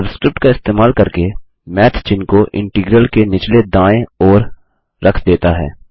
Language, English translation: Hindi, Using the subscript, Math places the character to the bottom right of the integral